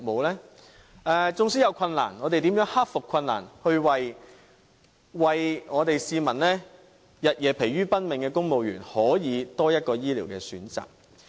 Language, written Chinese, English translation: Cantonese, 縱使在過程中會遇上困難，但我們如何克服困難，使為市民日夜疲於奔命的公務員可有多一個醫療選擇呢？, Despite all those challenges during the process how can we overcome the difficulties and fight for this welfare so that civil servants who work day and night for the sake of the public can have one more choice of medical service?